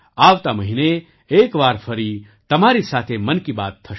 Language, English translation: Gujarati, Next month, we will have 'Mann Ki Baat' once again